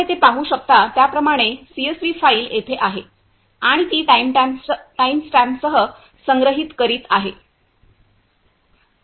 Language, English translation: Marathi, Here is the CSV file as you can see here and it is storing with timestamp